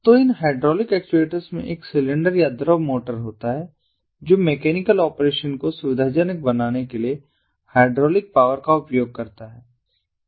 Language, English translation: Hindi, so this name suggests these hydraulic actuators consist of a cylinder or fluid motor that uses hydraulic power to facilitate mechanical operation